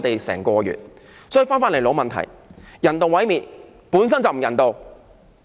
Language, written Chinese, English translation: Cantonese, 所以，返回老問題，人道毀滅本身就不人道。, So coming back to the original issue euthanasia is inhumane